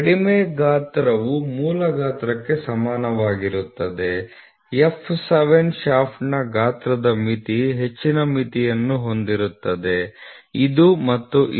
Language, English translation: Kannada, Low limit equal to the basic size, the limit of the size for the f 7 shaft are high limit is this and this high limits are this and this